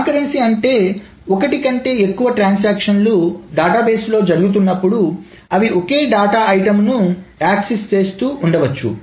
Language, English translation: Telugu, Conquerancy essentially means that more than one transactions are being executed in the database and they may be accessing the same data item